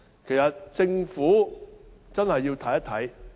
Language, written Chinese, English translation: Cantonese, 事實上，政府真的要檢視問題。, In fact the Government has really got to review the problem